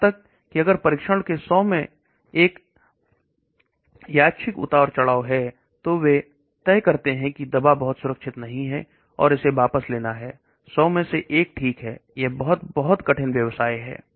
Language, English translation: Hindi, Even if there is one random fluctuation in 100s of test, then they decide that drug is not very safe and it has to be withdrawn, 1 in 100 okay, that is very, very tough business